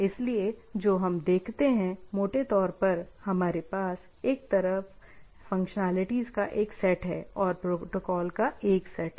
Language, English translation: Hindi, So, so what we look at, we have a, in a broadly, we have a set of functionalities one side and set of protocols, right